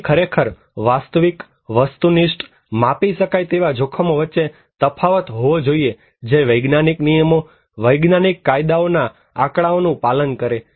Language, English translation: Gujarati, So, distinction should be made between real, actual, objective measurable risk, which follow the scientific rules, scientific law of statistics